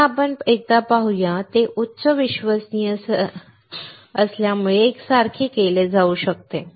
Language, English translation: Marathi, Let us see once again, it can be made identical with high reliability